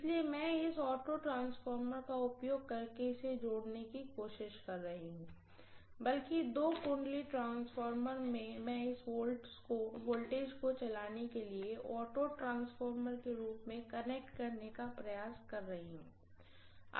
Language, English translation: Hindi, So I am trying to connect this using this auto transformer, rather two winding transformer I am trying to connect as an auto transformer to drive this voltage, right